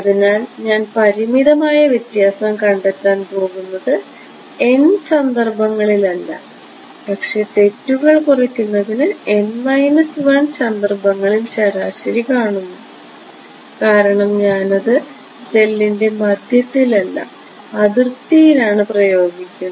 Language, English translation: Malayalam, So, I am going to find out the finite difference not at the time instance n, but also n minus 1 and take the average to reduce this error because I am I am imposing it in the middle of the cell not at the boundary